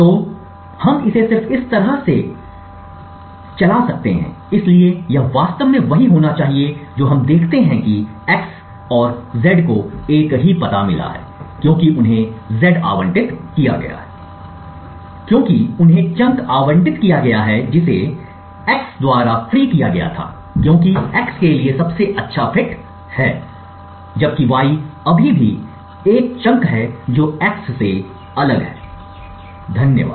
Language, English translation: Hindi, have been z yeah in fact what we see is x and z have got the same address because they have been z has been allocated the chunk which has been freed by x because it was the best fit for x, while y still gets a chunk which was different from that of x, thank you